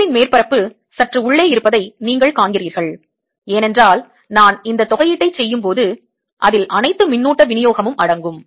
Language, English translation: Tamil, you see, the surface of the shell is slightly inside because when i am doing this integration it includes all the charge distribution